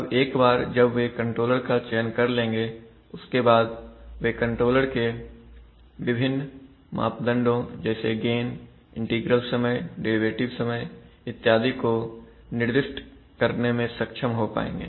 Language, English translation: Hindi, Now once he selects one of these types he or she should be able to assign the various parameters in that controller like gains, integral times, derivative times extra